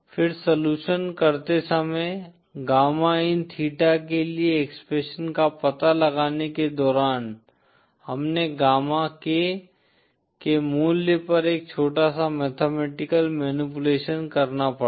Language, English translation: Hindi, Then while doing the solution, while finding out the expression for gamma in theta we had to do a small mathematical manipulation on the value of gamma k